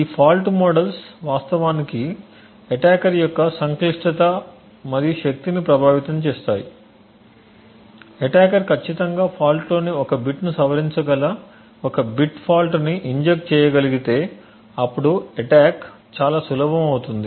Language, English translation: Telugu, These fault models actually influence the complexity and power of the attacker now if an attacker is able to inject a bit fault that is precisely change exactly 1 bit in the fault then the attack becomes extremely easy